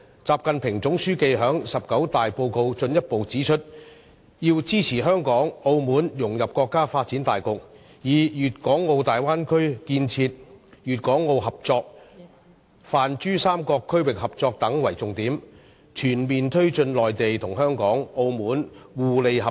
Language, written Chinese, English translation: Cantonese, 習近平總書記在中國共產黨第十九次全國代表大會的報告中進一步指出，要支持香港和澳門融入國家發展大局，以粵港澳大灣區建設、粵港澳合作、泛珠三角區域合作等為重點，全面推進內地、香港和澳門互利合作。, The report which General Secretary XI Jinping delivered at the 19 National Congress of the Communist Party of China further points out that support should be given to Hong Kong and Macao to assist them in integrating into the countrys scheme of overall development . It is also pointed out that all - out efforts should be made to foster Mainland - Hong Kong - Macao cooperation and their common benefits mainly through Bay Area development Guangdong - Hong Kong - Macao cooperation and regional cooperation in the Pan - Pearl River Delta